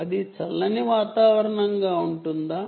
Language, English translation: Telugu, is it going to be cold environments